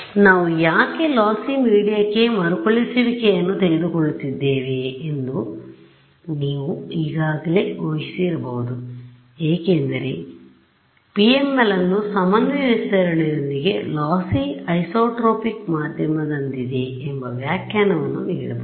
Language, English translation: Kannada, You might have guessed why we are taking recoats to a lossy media because we have already given the interpretation that PML with coordinate stretching is like a lossy an isotropic media right